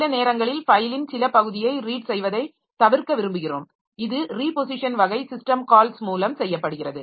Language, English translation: Tamil, Sometimes we may want to skip some part of the file for reading and that is done by this reposition type of system calls